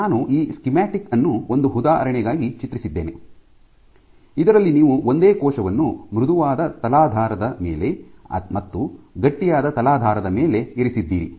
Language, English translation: Kannada, Just an example I have drawn this schematic in which you have the same cell whatever be it placed on a soft substrate versus on a stiff substrate